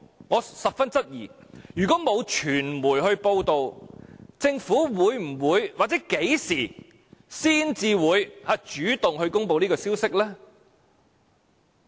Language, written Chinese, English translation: Cantonese, 我十分質疑，如果沒有傳媒報道，政府會否或何時才會主動公布這消息呢？, I really wonder if the media did not receive the information whether or when the Government will take the initiative to announce the incident to the public?